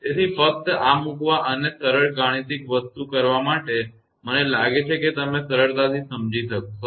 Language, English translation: Gujarati, So, just to put this one and do this simple mathematical thing; i think you will easy to understand